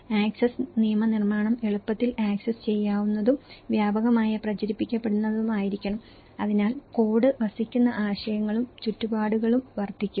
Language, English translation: Malayalam, Access legislation should be easily accessible and widely disseminated and so incremental improvement, the code dwelling concepts and surroundings can happen